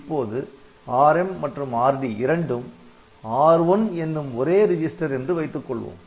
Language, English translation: Tamil, Now, if the Rm and Rd they happen to be the same register